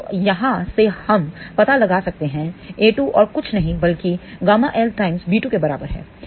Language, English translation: Hindi, So, from here we can find out a 2 is nothing but equal to gamma L times b 2